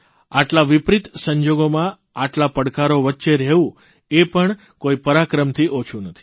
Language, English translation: Gujarati, Living in the midst of such adverse conditions and challenges is not less than any display of valour